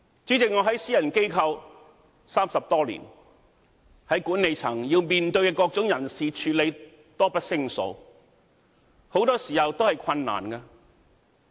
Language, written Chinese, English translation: Cantonese, 主席，我在私人機構工作30多年，在管理層面對各種人事的處理，多不勝數，很多時候都是困難的。, President I have been working in a private firm for more than 30 years . The management has to deal with various personnel matters there are countless issues and most of the time they are difficult to deal with